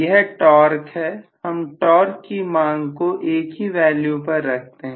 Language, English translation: Hindi, This is the torque so maybe I am going to keep the torque demand at the same value